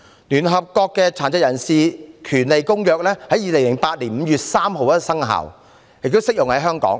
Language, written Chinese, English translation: Cantonese, 聯合國《殘疾人權利公約》在2008年5月3日生效，並適用於香港。, The United Nations Convention on Rights of Persons with Disabilities CRPD came into force on 3 May 2008 and it applies to Hong Kong